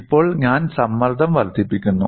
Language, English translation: Malayalam, Now, I increase the stress